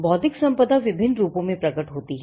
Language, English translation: Hindi, Intellectual property manifests itself in various forms